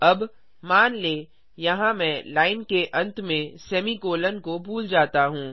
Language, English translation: Hindi, Let us type the semicolon here at the end of this line